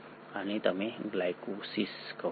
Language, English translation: Gujarati, This is what you call as glycolysis